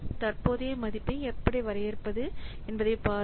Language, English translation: Tamil, Please see how we define present value